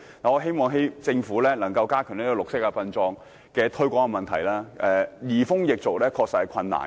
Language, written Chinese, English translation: Cantonese, 我希望政府可以加強推廣綠色殯葬；移風易俗確實困難重重。, I hope that the Government can strengthen its promotion on green burial for it is really difficult to bring about changes in customs and traditions